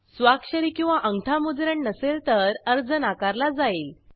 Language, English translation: Marathi, Applications without signature or thumb print will be rejected